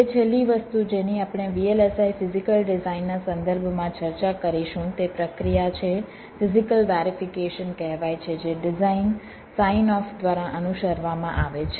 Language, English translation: Gujarati, now, the last thing that that we shall be discussing with respect to vlis, physical design, is the process called physical verification